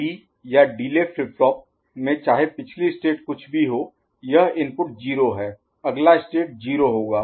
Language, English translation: Hindi, (At D or Delay flip flop, irrespective of previous state) this input, 0 is just pushed to there next state right